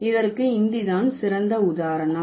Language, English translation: Tamil, So, Hindi is the best example for that